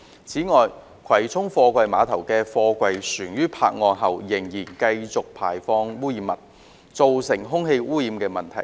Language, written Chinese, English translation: Cantonese, 此外，葵涌貨櫃碼頭的貨櫃船於泊岸後仍持續排放污染物，造成空氣污染問題。, Besides container vessels continue to emit pollutants after berthing at the Kwai Chung Container Terminals KCCTs causing air pollution problem